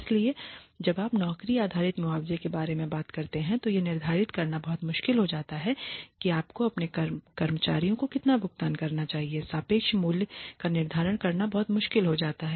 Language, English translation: Hindi, So, when you talk about job based compensation it becomes very difficult to determine how much you should pay your employees, the worth the relative worth becomes very difficult to determine